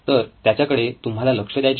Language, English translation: Marathi, So that is what you have to look at